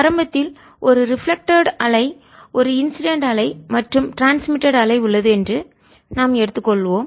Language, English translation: Tamil, we are going to assume right in the, the beginning there is a reflected wave, there is an incident wave and there is a transmitted wave